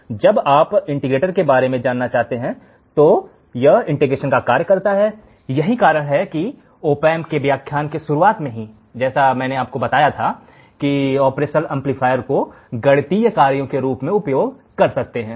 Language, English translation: Hindi, So, when you talk about the integrator, it performs the function of integration that is why in the starting of the op amp lectures, I told you the operational amplifier can be used to solve the mathematical functions